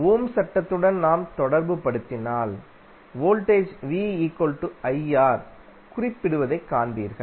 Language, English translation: Tamil, If you correlate with the Ohm's law, you will see that voltage is represented as R into I